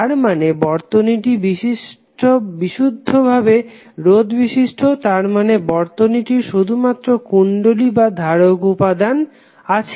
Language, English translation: Bengali, It means that the circuit is purely reactive that means that the circuit is having only inductive or capacitive elements